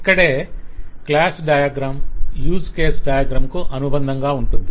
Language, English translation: Telugu, This is where the class diagram is supplementing the use case diagram